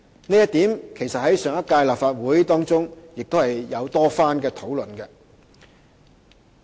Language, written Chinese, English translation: Cantonese, 這一點其實在上屆立法會曾經多番討論。, In fact this issue has undergone extensive discussion in the last term